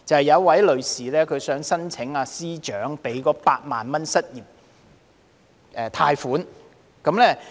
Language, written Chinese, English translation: Cantonese, 有一名女士想申請財政司司長推出的8萬元失業貸款。, She was a woman who intended to apply for an 80,000 unemployment loan introduced by the Financial Secretary